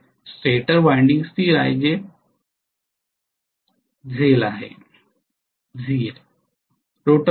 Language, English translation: Marathi, No, stator windings are stationary that is the catch